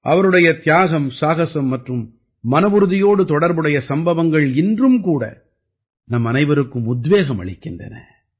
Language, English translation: Tamil, The stories related to his sacrifice, courage and resolve inspire us all even today